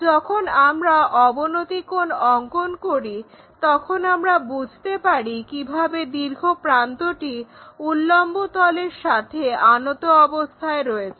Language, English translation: Bengali, When we do that the inclination angle we can sense the longer edge how it is going to make with vertical plane